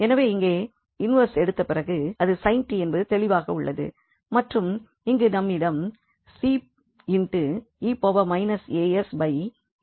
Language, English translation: Tamil, So, after taking the inverse here it is clear it will be sin t and now here we have e power minus a s and then we have s s square plus 1